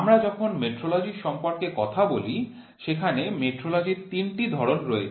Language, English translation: Bengali, When we talk about metrology there are three different types of metrology